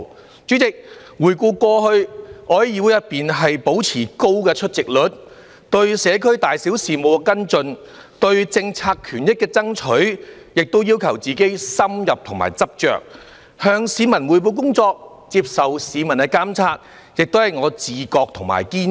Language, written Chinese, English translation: Cantonese, 代理主席，回顧過去，我在議會內保持高出席率，對社區大小事務跟進、對政策權益爭取，亦要求自己"深入和執着"，向市民匯報工作、接受市民監察，亦是我的"自覺和堅持"。, Deputy President in retrospect of my time at this Council I have maintained a high attendance rate . I have demanded myself to be thorough and persistent in following up different matters of concern in society and fighting for policy interests . It has been my consciousness and insistence that I reported my work to the public and be monitored by them